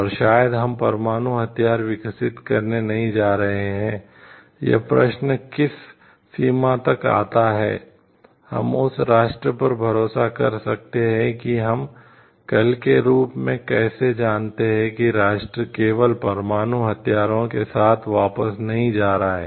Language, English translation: Hindi, And maybe we are not going for developing a nuclear weapons question comes to what extent, we can trust that nation how do we know like tomorrow that nation is not going to he just back with the nuclear weapons